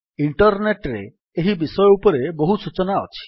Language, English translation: Odia, There is a lot of information on these topics in Internet